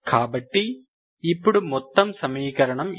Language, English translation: Telugu, So now whole equation is this